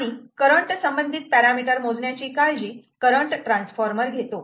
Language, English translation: Marathi, the current transformer, we will take care of measuring all the current related parameters